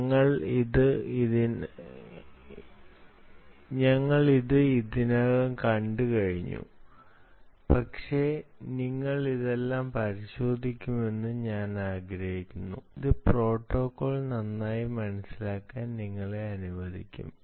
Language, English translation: Malayalam, we have already seen this, but i want you to look up all these things, and then that will allow you to understand the protocol very well